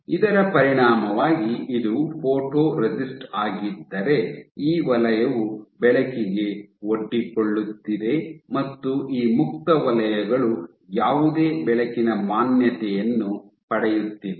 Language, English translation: Kannada, So, as a consequence, so, if this is your photoresist, in this zone is getting an exposed to the light and these free zones are not getting any light exposure